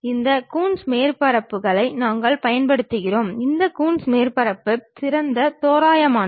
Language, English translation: Tamil, We employ these Coons surfaces and this Coons surfaces are better approximations